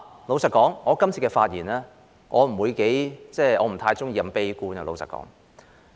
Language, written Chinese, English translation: Cantonese, 老實說，我今次發言不會太悲觀，因為我不喜歡。, Frankly speaking my speech this time will not be too pessimistic because this is not my style